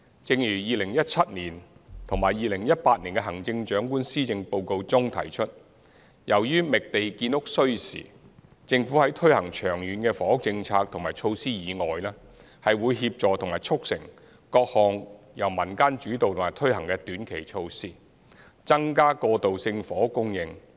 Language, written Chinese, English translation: Cantonese, 正如2017年及2018年的行政長官施政報告中提出，由於覓地建屋需時，政府在推行長遠房屋政策和措施以外，會協助和促成各項由民間主導和推行的短期措施，增加過渡性房屋供應。, As mentioned in the 2017 and 2018 Policy Addresses of the Chief Executive since it takes time to identify land for housing construction the Government will support and facilitate the implementation of various short - term initiatives put forward and carried out by the community on top of the Governments long - term housing policy and measures to increase the supply of transitional housing